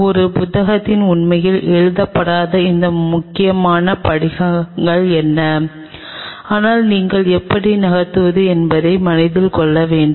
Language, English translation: Tamil, What are those critical steps which will not be really written in a book, but you kind of have to keep in mind how to move